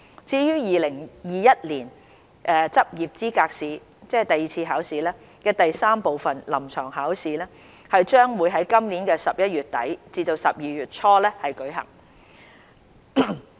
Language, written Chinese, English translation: Cantonese, 至於2021年執業資格試第三部分：臨床考試，將於今年11月底至12月初舉行。, For Part III―The Clinical Examination of the 2021 LE it will be held between late November and early December 2021